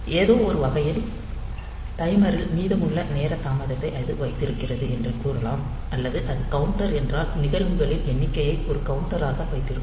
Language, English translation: Tamil, So, in some sense, we can say that it holds the time delay that is remaining in the timer, or if it is counter then it will hold the number of events as a counter